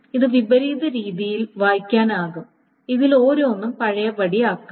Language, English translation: Malayalam, It can be done, it can be read in a reverse manner